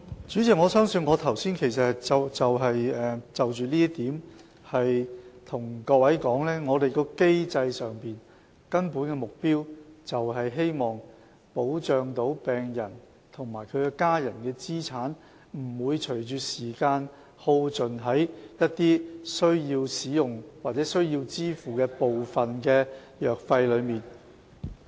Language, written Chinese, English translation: Cantonese, 主席，我相信我剛才其實已就這一點告訴大家，在機制上，我們的根本目標就是希望能保障病人及其家人的資產，不會隨着時間而耗盡於一些需要使用的藥物或需要支付的部分藥費上。, President I believe that on this point just now I already told Members that our fundamental objective under the mechanism is to protect the assets of patients and their family members from being fully expended on the drugs they need to take or part of the drug expenses they need to contribute as time goes by